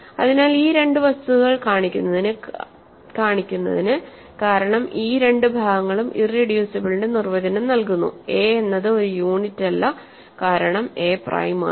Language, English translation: Malayalam, So, to show these two facts, because these two parts give the definition of irreducibility; a is not a unit is because a is prime